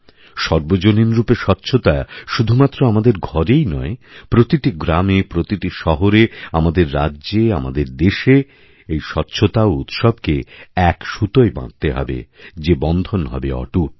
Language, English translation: Bengali, Public cleanliness must be insisted upon not just in our homes but in our villages, towns, cities, states and in our entire country Cleanliness has to be inextricably linked to our festivals